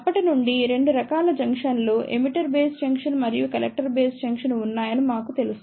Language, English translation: Telugu, Since, we know that there are 2 type of junctions emitter base junction and collector base junction